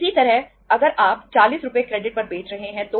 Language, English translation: Hindi, Similarly if you are selling the for the credit is for 40 Rs